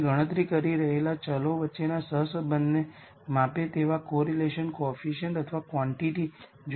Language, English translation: Gujarati, You would have seen a quantity called correlation coefficient or quantity that measures the correlation between variables that you calculate